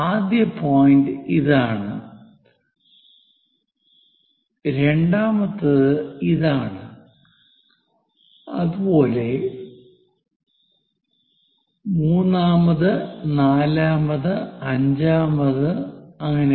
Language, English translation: Malayalam, Now, mark the points, first point this is the one, second, third, fourth, fifth, and this